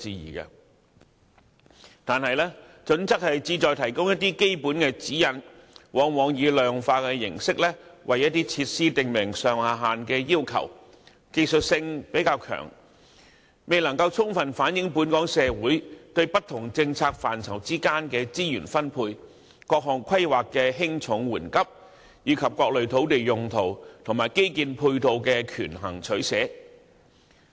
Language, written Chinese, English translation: Cantonese, 然而，《規劃標準》旨在提供基本的指引，往往以量化形式，為一些設施訂明上下限要求，較側重技術因素，未能充分反映社會對不同政策範疇的資源需求、各項規劃的輕重緩急，以及各類土地用途及基建配套的權衡取捨。, However as the purpose of HKPSG is to provide general guidelines the requirements are invariably set out in quantitative terms with a specified range for various facilities . Hence it is more of a technical document and falls short of reflecting societys demand for resources in different policy areas the priorities of competing planning considerations as well as the trade - off between different land uses and ancillary infrastructure